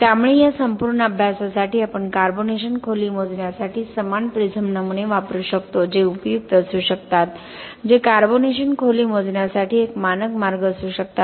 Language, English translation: Marathi, So for this the entire study we can use the same prism specimens for the carbonation depth measurement which could be useful in, which could be a standard way for measuring the carbonation depth